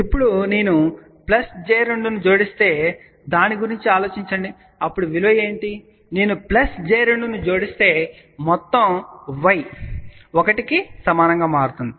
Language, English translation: Telugu, Now, just think about if I add plus j 2, what will be the value then; if I add plus j 2 total y will become equal to 1